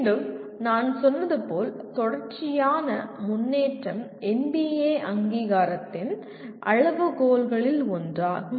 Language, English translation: Tamil, And again as I said continuous improvement is one of the criterion of NBA accreditation